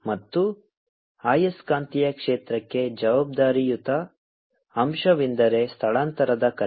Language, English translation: Kannada, responsible factor for the magnetic field is the displaced current